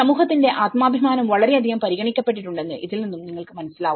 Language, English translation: Malayalam, This shows that you know the community’s self esteem has been considered very much